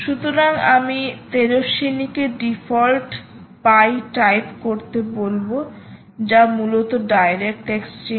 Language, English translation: Bengali, so i will ask tejaswini to type in the default dot p y, which is essentially the direct exchange